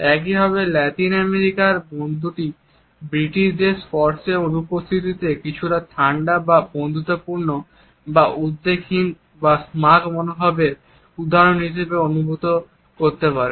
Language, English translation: Bengali, Similarly the Latin American friend may feel the absence of touch by the British as somewhat cold or unfriendly or unconcerned or an example of a smug attitude